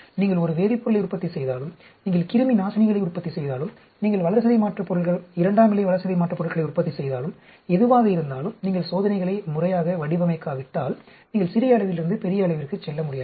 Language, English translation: Tamil, Whether you are manufacturing a chemical, whether you are manufacturing antibiotics, whether you are manufacturing metabolites, secondary metabolites, whatever be it, unless you do a proper design of experiments, you cannot move from small scale to large scale